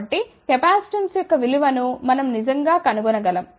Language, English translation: Telugu, So, that is how we can actually find out, the value of the capacitance